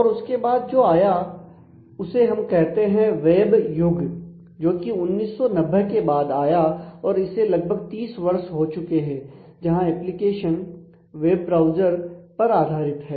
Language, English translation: Hindi, And beyond that we have the what we call the web era which is 1990 onwards we in the that is that is about roughly the last 30 years where typically the applications are now based on web browsers